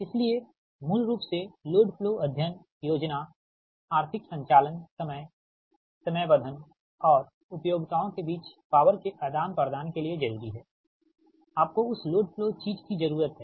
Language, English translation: Hindi, so, basically, load flow studies are necessary that planning, economic operation, scheduling and exchange of power between utilities, your, you need that load flow thing, right